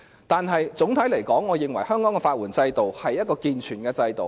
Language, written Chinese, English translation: Cantonese, 但是，總體而言，我認為香港的法援制度是建全的制度。, However in general I think the legal aid system in Hong Kong is sound